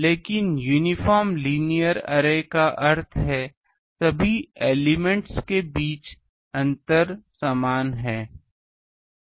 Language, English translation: Hindi, But uniform linear array means the spacing between all the elements are same